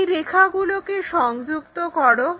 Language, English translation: Bengali, Join these lines